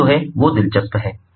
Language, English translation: Hindi, what is interesting is that